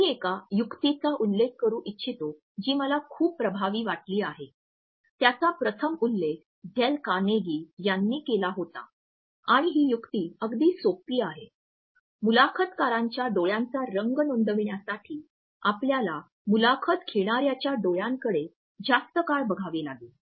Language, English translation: Marathi, I would like to mention a trick which I have found very effective it was first mentioned by dale Carnegie and the trick is very simple; that means, that you have to look at the interviewers eyes long enough to register the colour of the interviewers eyes